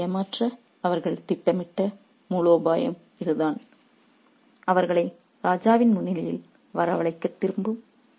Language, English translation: Tamil, So, this is the strategy that they devised to cheat the messenger who will return to summon them to the king's presence